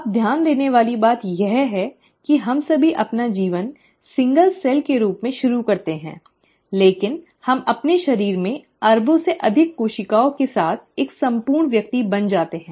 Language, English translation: Hindi, Now, what is intriguing is to note that we all start our life as a single cell, but we end up becoming a whole individual with more than billions of cells in our body